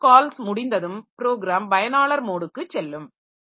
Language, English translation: Tamil, After system call ends, so it will go the program will go back to the user mode of operation